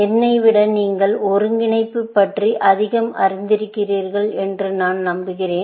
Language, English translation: Tamil, I am sure that you people are more familiar with integration than I am